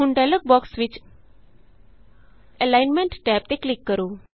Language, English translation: Punjabi, Now click on the Alignment tab in the dialog box